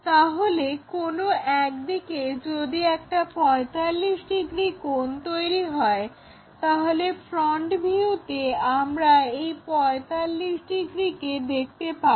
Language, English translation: Bengali, So, one of the sides if it is making 45 degrees in the front view we will see that 45 degrees